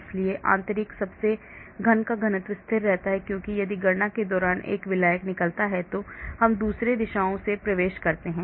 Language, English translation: Hindi, so the density of the inner most cube remains constant because if one solvent goes out during the calculation we assume another entering from the opposite directions